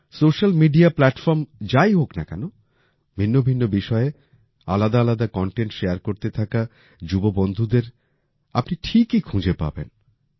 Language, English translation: Bengali, No matter what social media platform it is, you will definitely find our young friends sharing varied content on different topics